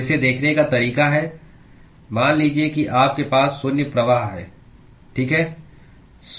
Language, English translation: Hindi, So, the way to look at it is supposing if you have a zero flux, okay